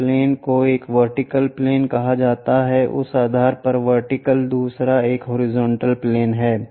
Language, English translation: Hindi, This planes are called vertical plane, vertical to that base, other one is horizontal plane